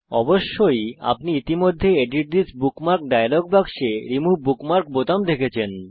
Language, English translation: Bengali, Of course, youve already noticed the Remove bookmark button in the Edit This Bookmark dialog box